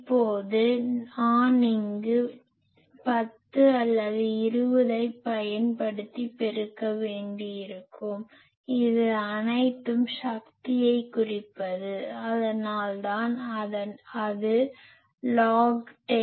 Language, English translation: Tamil, Now, here multiplied I will have to use 10 or 20; it is all power thing that is why it is 10, 10 log 10